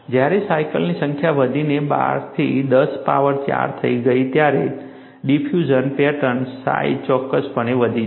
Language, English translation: Gujarati, When the number of cycles increased to 12 into 10 power 4, the size of the diffusion pattern has definitely grown